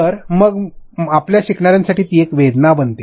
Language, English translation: Marathi, So, then for your learner it becomes a pain